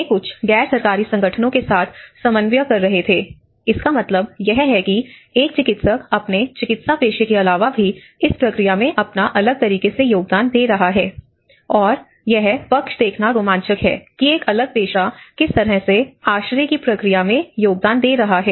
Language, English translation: Hindi, So, they were coordinating with some NGOs, so which means even a medical body apart from his medical profession how he is engaged in a different manner has actually you know and one side it is exciting to see how a different profession is contributing to the shelter process